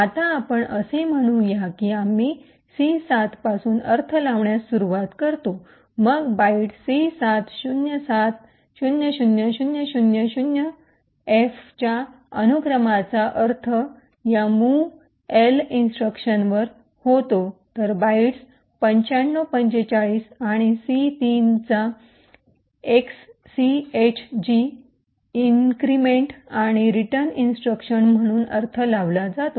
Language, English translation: Marathi, Now let us say we start interpreting from C7 then the sequence of byte C7, 07, 00, 00, 00, 0F gets interpreted to this movl instruction, while the bytes 95, 45 and c3 gets interpreted as exchange increment and return instructions